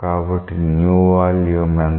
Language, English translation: Telugu, So, what is the new volume